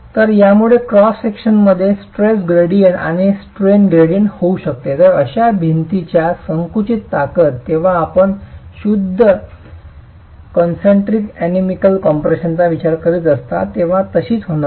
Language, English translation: Marathi, So, this itself can cause a stress gradient and a strain gradient in the cross section and the compressive strength of such a wall is not going to be the same as when you are considering pure concentric uniaxial compression